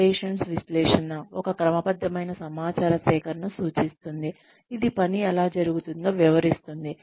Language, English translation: Telugu, Operations analysis refers to, a systematic collection of information, that describes, how work is done